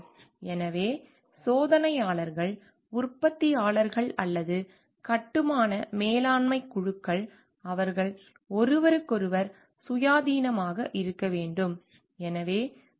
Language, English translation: Tamil, So, testers, manufacturers or construction management teams, they should be independent of each others